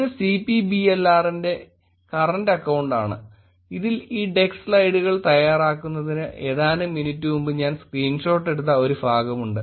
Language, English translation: Malayalam, This is the current account of CPBLR, it has a part I just took the screenshot a few minutes before actually preparing this deck of slides